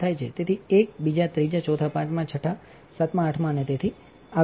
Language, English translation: Gujarati, So, it is like one, second, third, fourth, fifth, sixth, seventh, eighth and so, on